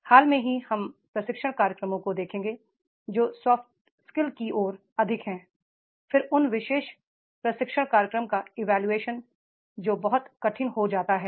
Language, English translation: Hindi, Recently we will find the training programs which are more towards the soft skills then evaluation of those particular training programs that becomes very very difficult